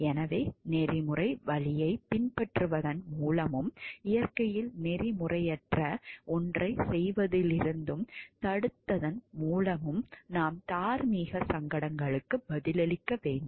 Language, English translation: Tamil, So, we should be answering to the moral dilemmas by following the ethical route and deterred from doing something which is unethical in nature